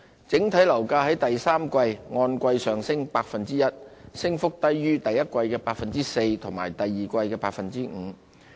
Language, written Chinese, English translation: Cantonese, 整體樓價在第三季按季上升 1%， 升幅低於第一季的 4% 及第二季的 5%。, The quarter - on - quarter increase in the overall property prices was 1 % in the third quarter compared with 4 % in the first quarter and 5 % in the second quarter